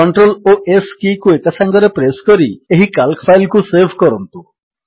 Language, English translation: Odia, Press CTRL and C keys together to copy the image